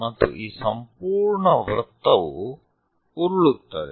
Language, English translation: Kannada, And this entire circle rolls